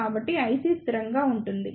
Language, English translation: Telugu, So, the I C will be constant